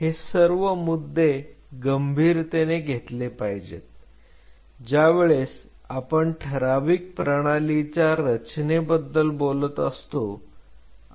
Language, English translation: Marathi, These points have to be taken very seriously while we are talking about a design or a defined system